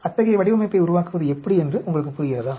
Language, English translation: Tamil, Do you understand how to go about creating such a design